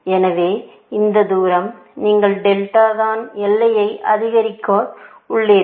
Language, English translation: Tamil, So, this distance, this is delta that you have increased the boundary by